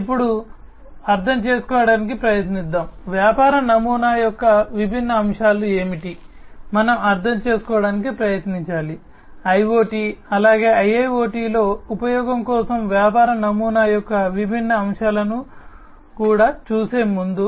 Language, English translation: Telugu, So, let us now try to understand; what are the different aspects of the business model, that we should try to understand, before even we go through the different you know the different aspects of the business model for use in IoT as well as IIoT